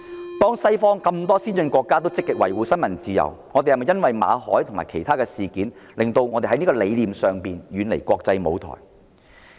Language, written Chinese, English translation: Cantonese, 當多個西方先進國家積極維護新聞自由，我們是否任由馬凱及其他事件，令香港在理念上遠離國際舞台？, When a number of advanced Western countries are actively upholding freedom of the press will the Victor MALLET incident and other incidents pull Hong Kong further away from the international arena in terms of beliefs?